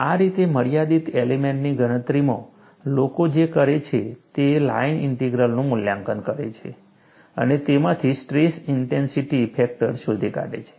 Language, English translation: Gujarati, That is how, in finite element computation, what people do is, they evaluate the line integral and from that, find out the stress intensity factor